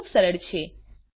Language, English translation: Gujarati, This is simple too